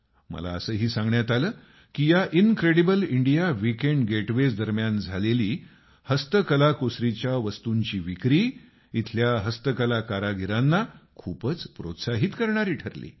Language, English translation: Marathi, I was also told that the total sales of handicrafts during the Incredible India Weekend Getaways is very encouraging to the handicraft artisans